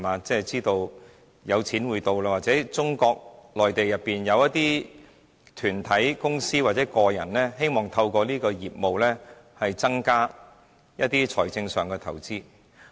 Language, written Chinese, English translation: Cantonese, 知道有錢會流進香港，或中國內地的一些團體、公司或個人希望透過此行業，增加一些財政上的投資。, From the hint they knew that there would be an influx of capital to Hong Kong . In other words some organizations companies or individuals on the Mainland would like to increase their financial investments through this industry